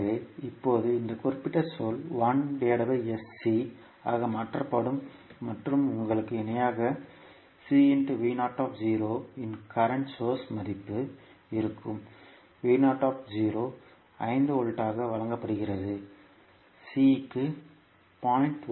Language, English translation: Tamil, So now this particular term will be converted into 1 upon SC and in parallel with you will have current source value of C V naught, v naught is given as 5 volt, C is given 0